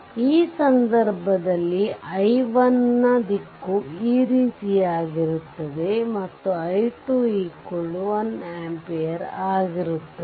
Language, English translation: Kannada, So, in this case direction of i 1 is like this and i 2 your one current source 1 ampere is like this